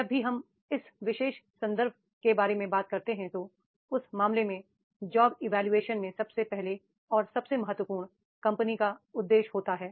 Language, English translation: Hindi, Whenever we talk about this particular context, then in that case, the first and foremost in job evaluation, that is what is the company's purpose